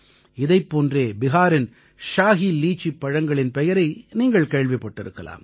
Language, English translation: Tamil, Similarly, you must have also heard the name of the Shahi Litchi of Bihar